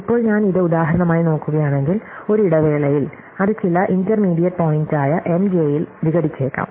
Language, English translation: Malayalam, So, now in turn if I look at this for example, in a break it out, it could break up at some intermediate point M j